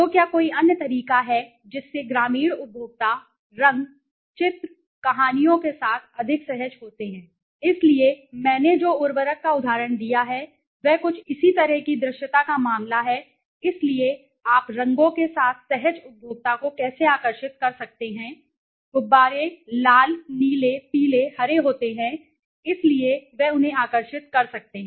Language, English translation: Hindi, So, is there any other way yes rural consumers are more comfortable with color, picture, stories so one which I gave an example of the fertilizer is a case of similar something similar so visibility so how you can attract the consumer they comfortable with colors so the balloons are red blue yellow green may be so they attracted them right